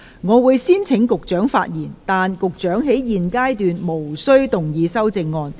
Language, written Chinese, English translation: Cantonese, 我會先請局長發言，但他在現階段無須動議修正案。, I will first call upon the Secretary to speak but he is not required to move his amendments at this stage